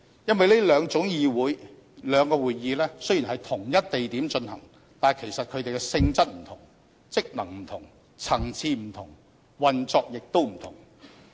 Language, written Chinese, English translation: Cantonese, 因為這兩種會議雖然在同一地點進行，其實兩者的性質不同、職能不同、層次不同，運作也不同。, It is because the two are of different natures of different powers and functions and of different levels and operation modes despite the fact that they are held in the same venue